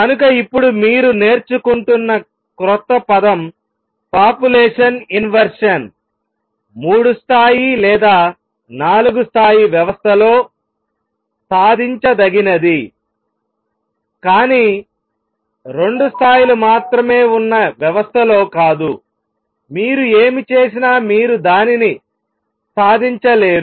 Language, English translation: Telugu, So, population inversion which is a new word now you are learning is achievable in a three level or four level system, but not in a system that has only two levels there no matter what you do you cannot achieve that